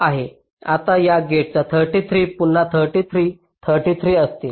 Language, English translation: Marathi, so this gate will have thirty three